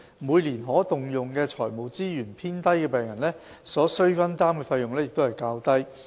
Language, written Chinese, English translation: Cantonese, 每年可動用財務資源偏低的病人，所須分擔的費用亦較低。, Patients with lower annual disposable financial resources are required to contribute a smaller amount of the drug cost